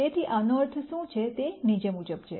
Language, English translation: Gujarati, So, what this means is, the following